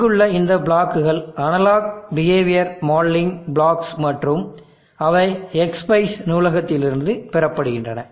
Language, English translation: Tamil, These set of blocks here or analog behavioural modelling blocks and they are obtained from the X spice library